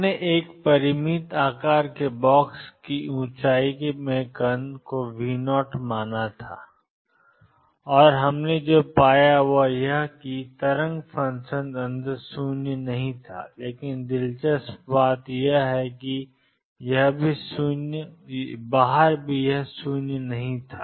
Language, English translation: Hindi, We had considered particle in a finite size box height being V 0 and what we found is that the wave function was non zero inside, but interestingly it also was non zero outside